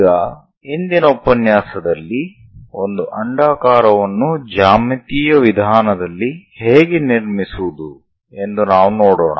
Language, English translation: Kannada, Now in today's lecture, we will see how to construct an ellipse geometrical means